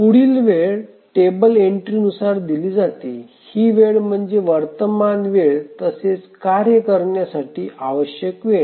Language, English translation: Marathi, So, the next time is given by the table entry time that get time when the current time plus the time that is required by the task